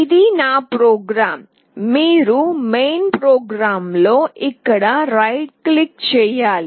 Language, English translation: Telugu, This is my program you have to right click here on main program